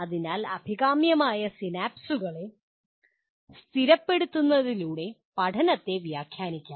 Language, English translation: Malayalam, So learning can be interpreted in terms of stabilizing the desirable synapses